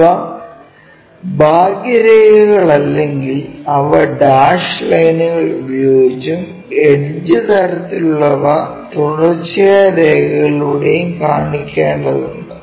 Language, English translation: Malayalam, Unless these are outlines we show them by dash lines, any out lines or the edge kind of things we have to show it by continuous lines